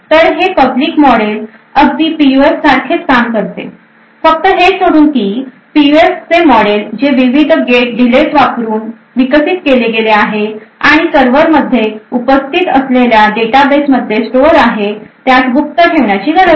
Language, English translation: Marathi, So, this public model PUF works in a very similar way, so except for the fact that the model for the PUF which is developed using the various gate delays and stored in the database present in the server does not have to be secret